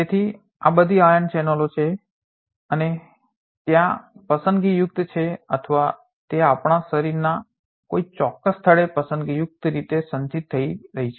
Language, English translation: Gujarati, So, all these are ion channels and there are selectively or they are selectively getting accumulated at a particular site of our body